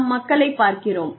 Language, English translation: Tamil, We see people